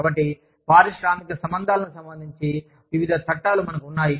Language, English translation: Telugu, So, we have, various laws related to, industrial relations